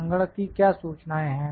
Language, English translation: Hindi, What is the computer report